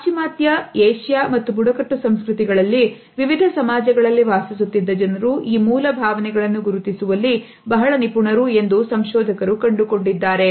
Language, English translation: Kannada, And the researchers later on found that people who lived in different societies in Western, Asian and Tribal cultures were very accurate in recognizing these basic emotions